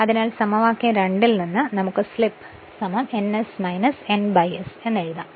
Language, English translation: Malayalam, So, from equation 2 we can write slip is equal to ns minus n upon ns